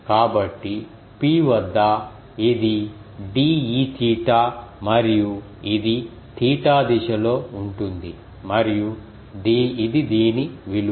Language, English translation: Telugu, So, at p this is the de theta and it is oriented in the theta direction and this is the value of this